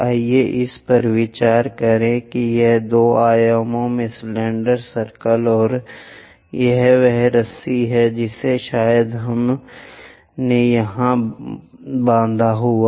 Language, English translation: Hindi, Let us consider this is the cylinder circle in two dimensions and this is the rope which perhaps we might have tied it there